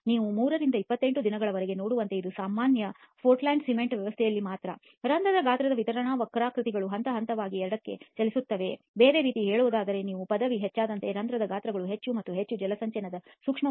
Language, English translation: Kannada, So as you can see from 3 to 28 days, this is only with ordinary portland cement system, the pore size distribution curves are shifting progressively towards the left, in other words the pore sizes have become much and much much more finer as you increase the degree of hydration